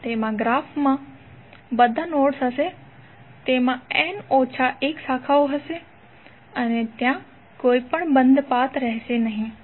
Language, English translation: Gujarati, It will contain all nodes of the graphs, it will contain n minus one branches and there will be no closed path